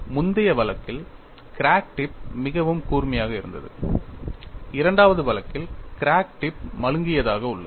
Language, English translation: Tamil, In the earlier case, crack tip was very sharp; in the second case, the crack tip is blunt